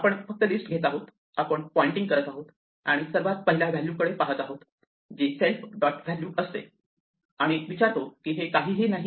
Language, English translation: Marathi, We just take the list we are pointing to and look at the very first value which will be self dot value and ask whether it is none